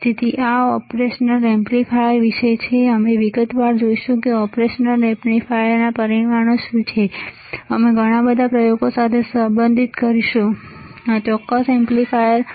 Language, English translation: Gujarati, So, this is about the operation amplifier, we will see in detail what are the parameters for operation amplifier, and we will correlate with lot of experiments, that what is a use what is the application of this particular operation amplifier